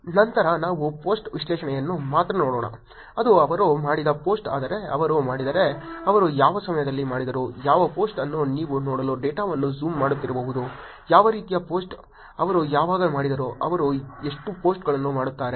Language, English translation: Kannada, Then let us look at only the post analysis, which is the post that they have done but if they do, what time did they do, what post you can keep zooming into the data to look at, what kind of post, when did they do, what number of posts they do